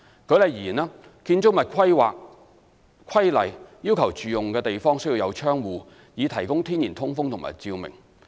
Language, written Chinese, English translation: Cantonese, 舉例而言，《建築物規例》要求住用地方需有窗戶，以提供天然通風及照明。, For instance the Buildings Planning Regulations require a domestic flat to have windows for natural ventilation and lighting